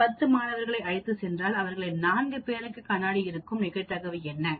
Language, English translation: Tamil, If I take 10 students, what is the probability that 4 of them will be having glasses